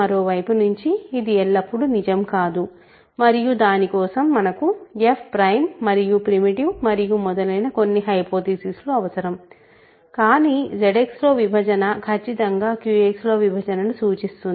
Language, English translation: Telugu, The other way is not always true and for that we need some hypothesis that f is prime primitive and so on, but division in ZX certainly implies division in Q X